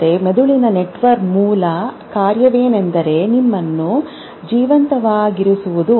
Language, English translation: Kannada, Because the basic function of brain network is to make you survive